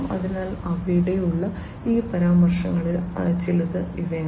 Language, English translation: Malayalam, So, these are some of these references that are there